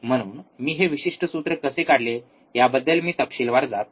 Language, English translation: Marathi, So, I am not going into detail how you have derived this particular formula